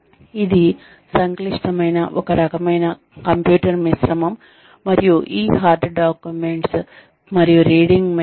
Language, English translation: Telugu, This is a complex, a sort of mix of computer, and this hard documents, and reading material